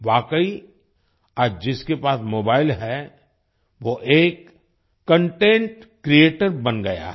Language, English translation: Hindi, Indeed, today anyone who has a mobile has become a content creator